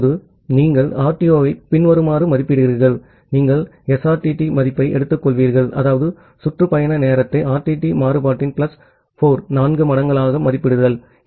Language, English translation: Tamil, Now, you estimate the RTO as follows so, you will take the SRTT value so; that means, the estimation of the round trip time into plus 4 times of RTT variance